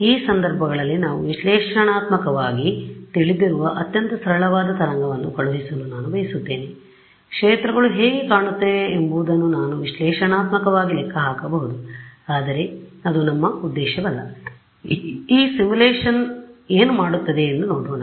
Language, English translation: Kannada, So, imagine there is waveguide I want to send wave through very simple we know analytically in these cases we can even analytically calculate what the fields look like, but that is not our objective let us see what this simulation does